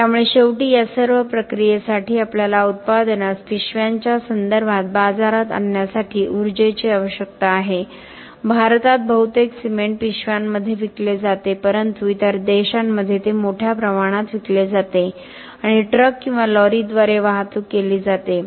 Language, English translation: Marathi, So finally, we need energy for all this process to get the product out into the market in terms of bags in India most of the cement is sold in bags but in other countries it is sold in bulk and transported by trucks or lories